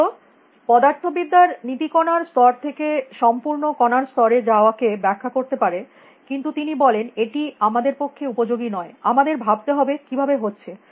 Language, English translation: Bengali, Even though the laws of physics can explain going from particle level to ensemble particle level, he says that is not useful for us, we have to think about how